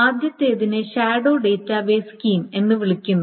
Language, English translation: Malayalam, The first one is called a shadow database scheme